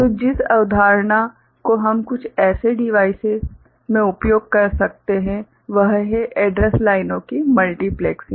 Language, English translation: Hindi, So, for which the concept that we can use in some such devices is the multiplexing of address lines